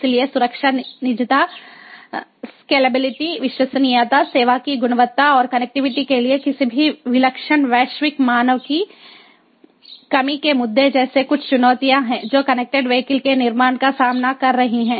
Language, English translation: Hindi, so issues such as security, privacies, scalability, reliability, quality of service and, on top, the lack of any singular global standard for connectivity are some of the challenges that are facing the building of connected vehicles